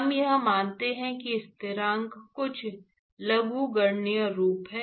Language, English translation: Hindi, That we just assume that the constant is some logarithmic form